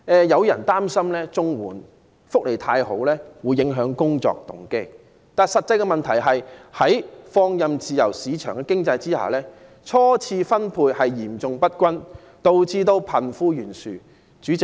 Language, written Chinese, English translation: Cantonese, 有人擔心綜援福利太好會影響工作動機，但實際的問題是，在放任的自由市場經濟下，財富初次分配嚴重不均，導致貧富懸殊。, Some people worry that if the benefits of CSSA are too good it may undermine peoples motivation to work . Yet in reality in a free market economy adopting laissez faire the seriously unequal distribution of wealth in the first round has resulted in disparity between the rich and the poor